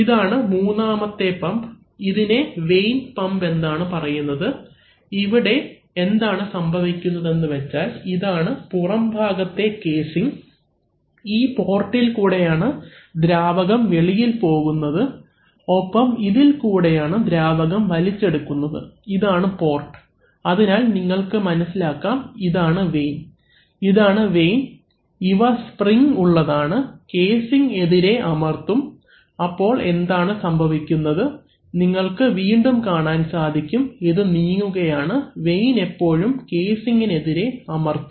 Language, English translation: Malayalam, In, this is the third kind of pump which is called a vane pump, here what is happening is that, you see that this is the outer casing, this is the port through which fluid is going out and this is the port through which fluid is being sucked in, these are the ports, so you can understand and these are, these are the vanes, these are the vanes which are spring loaded, actually this is not shown, so this actually is pressed against the casing, here there is a spring, pressed against casing, so what is happening you can again see here that, here as it is moving the vane is always pressed against the casing